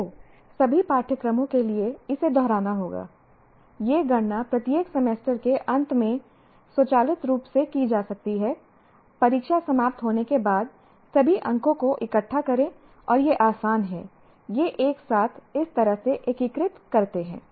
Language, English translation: Hindi, These computations can be done automatically at the end of each semester after the exams are over, collect all the marks and it is easier to kind of integrate it together like this